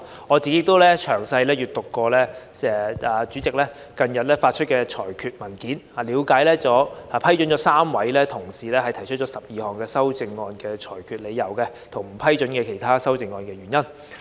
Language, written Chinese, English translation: Cantonese, 我亦詳細閱讀了主席近日發出的裁決文件，內容涵蓋了批准3位同事提出的12項修正案的理由，以及不批准其他修正案的原因。, I have also carefully studied the ruling issued by the President recently which has set out the reasons for ruling the 12 amendments proposed by three colleagues admissible and the reasons for ruling other amendments inadmissible